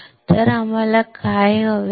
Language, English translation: Marathi, So, what we want